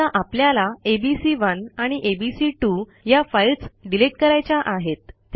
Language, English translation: Marathi, Suppose we want to remove this files abc1 and abc2